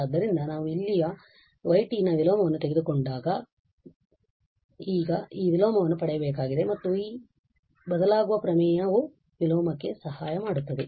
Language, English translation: Kannada, So, the y t when we take the inverse there so we have to now get this inverse and again this shifting theorem will help for the inverse